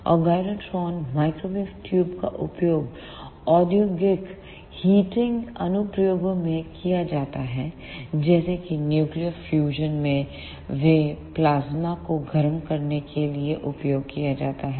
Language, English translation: Hindi, And the gyrotron microwave tubes are used in industrial heating applications such as in nuclear fusion, they are used to heat the plasmas